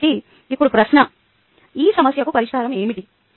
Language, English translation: Telugu, so now the question is: what is the solution to this problem